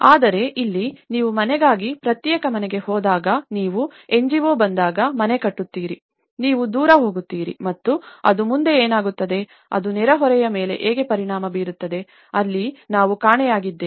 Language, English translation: Kannada, But here, when you go on an individual house for a house you build a house when NGO comes and build a house, you go away and thatís it so what happens next, how it affects the neighbour, so that is where we are missing in that level